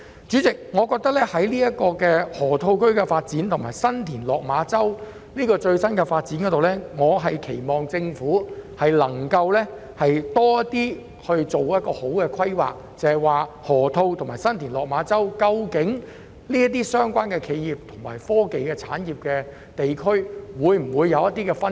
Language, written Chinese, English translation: Cantonese, 主席，就河套區的發展和新田/落馬洲的最新發展，我希望政府能夠做好規劃，釐清河套區和新田/落馬洲這兩個企業和科技產業地區的分工。, President noting the development of the Loop and the latest development of San TinLok Ma Chau I hope that the Government will make best - laid plans and a clear division of labour between the two areas as they are both enterprise and technology industrial regions